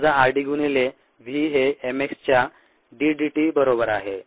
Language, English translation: Marathi, when is r d into v equals d d t of m x